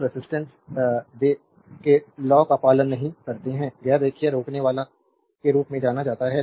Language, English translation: Hindi, So, so, resistance they does not obey Ohm’s law is known as non linear resistor